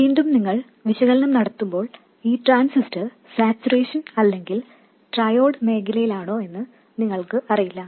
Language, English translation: Malayalam, Again, when you do the analysis, you don't know whether this transistor is in saturation or in triode region